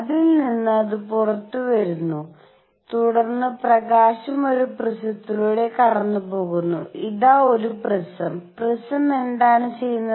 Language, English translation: Malayalam, From which it comes out and then, the light is made to pass through a prism, here is a prism; what does the prism do